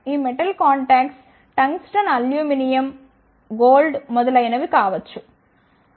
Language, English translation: Telugu, These metallic contacts could be of tungsten aluminum gold etcetera